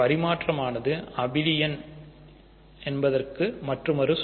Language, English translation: Tamil, Commutative is another word for abelianess